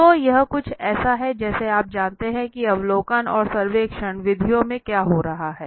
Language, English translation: Hindi, So this is something like you know what is happening in the observation and the survey methods